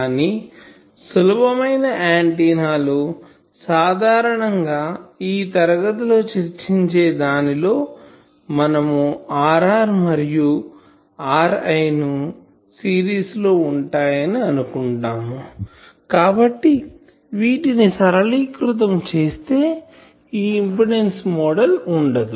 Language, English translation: Telugu, But for simple antennas which will be generally discussing in this class, if we assume that R r and R l are in series, then we can further simplify this impedance model that will go